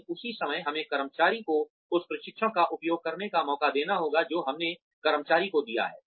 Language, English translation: Hindi, But, at the same time, we have to give the employee, a chance to use the training, that we have given the employee